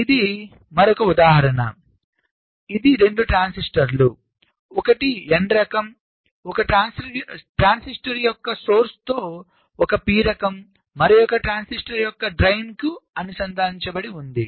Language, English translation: Telugu, so this is just another example which shows two transistors, one n type, one p type, with the source of one transistor connected to the drain of the other transistor